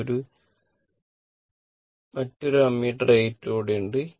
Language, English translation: Malayalam, This another ammeter A 2 is there